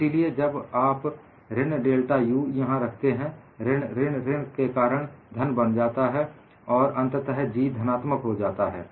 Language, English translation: Hindi, So, minus of delta U, when you put it here, minus of minus becomes plus; so finally, G is positive